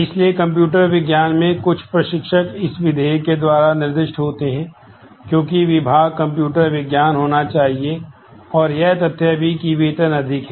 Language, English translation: Hindi, So, the some instructor in computer science is specified by this condition, because department has to be computer science and the fact that salary is higher